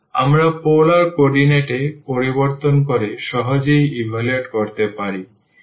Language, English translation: Bengali, We can evaluate easily by change into the polar coordinate